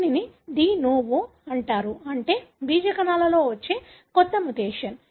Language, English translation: Telugu, This is called the de novo, meaning a new mutation coming in germ cells